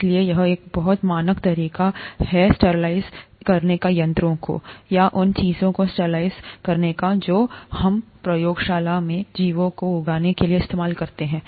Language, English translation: Hindi, So that's a very standard method of sterilizing instruments, or sterilizing things that we use in the lab to grow organisms and so on